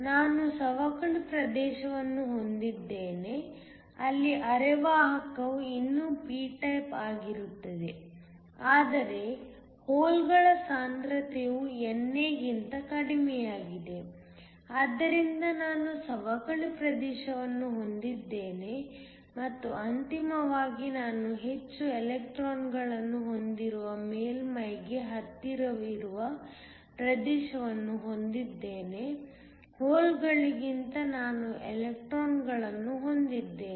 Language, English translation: Kannada, I have a depletion region where the semiconductor is still p type, but the concentration of the holes is less than NA, so I have a depletion region and then finally, I have a region which is closer to the surface where I have more electrons than holes so that I have inversion